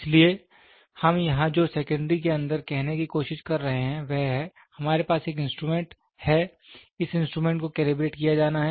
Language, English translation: Hindi, So, what we are trying to say here is in secondary, we have an instrument, this instrument has to be calibrated